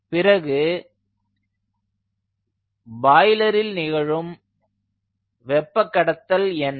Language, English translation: Tamil, and then what is the heat transfer in the boiler